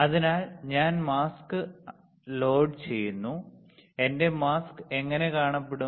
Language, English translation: Malayalam, So, I load the mask, how my mask will look like